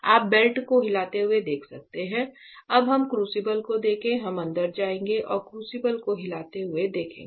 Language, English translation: Hindi, So, you can see the belt moving; now let us look at the crucible, we will go inside and look at the crucible moving